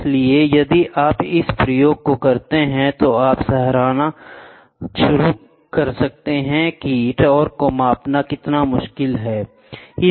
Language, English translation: Hindi, So, if you do this experiment, you will start appreciating how difficult it is to measure a torque